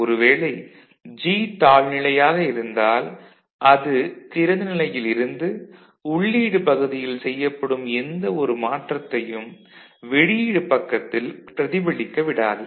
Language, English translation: Tamil, When this G is in this case low; that means, it is remaining open, whatever you do at the input side it does not get reflected at the output sides